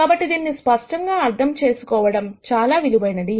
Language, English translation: Telugu, So, it is worthwhile to clearly understand this